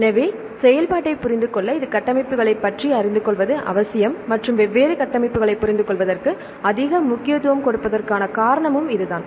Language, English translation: Tamil, So, to understand the function this is essential to know about the structures and this is the reason why it is much emphasis has been given to understand different structures